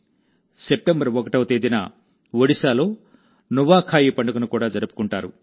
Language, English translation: Telugu, The festival of Nuakhai will also be celebrated in Odisha on the 1st of September